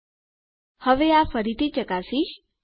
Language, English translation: Gujarati, Now Ill test this again